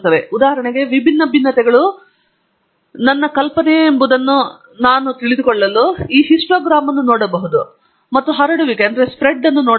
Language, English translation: Kannada, To know that, for example, whether my assumption that different variabilities hold good, we can look at a histogram and look at the spread also